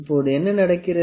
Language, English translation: Tamil, Now, what happens